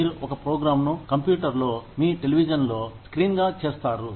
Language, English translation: Telugu, You would make a program, with the computer, with your television, as the screen